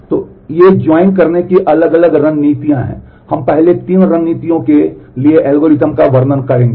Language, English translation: Hindi, So, these are different strategies of doing join we will just illustrate the algorithms for the first three strategies